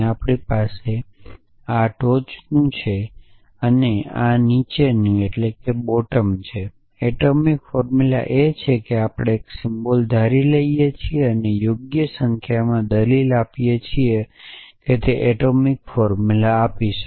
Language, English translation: Gujarati, So, we have this top and bottom is atomic formula is an we have taking a predicate symbol and put giving a appropriate number of arguments gives a atomic formula